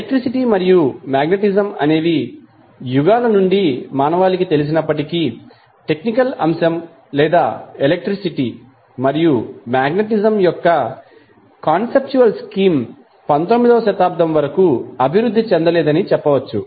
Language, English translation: Telugu, So, although the electricity and magnetism was known to mankind since ages but the the technical aspect or we can say the conceptual scheme of that electricity and magnetism was not developed until 19th century